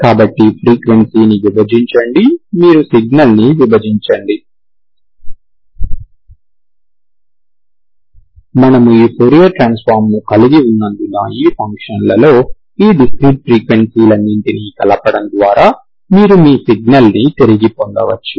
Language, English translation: Telugu, So divide the frequency, you split the signal, since we have this fourier transform, you can get back your signal by combining all of these discrete frequencies, okay, in these functions